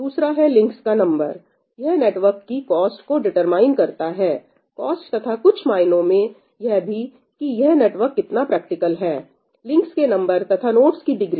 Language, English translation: Hindi, Another is the number of links , this, in some sense, determines the cost of the network cost and also, maybe, how practical it is number of links as well as the degree of a node